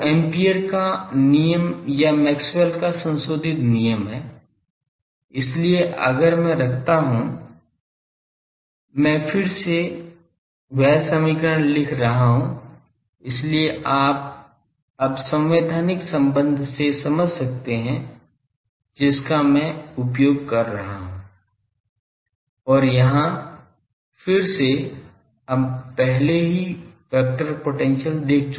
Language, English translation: Hindi, Which is Ampere’s law or Maxwell’s modified law, so there if I put I am again writing that equation; so, that you understand that now constitutive relation I am making use and here again we have already seen the vector potentials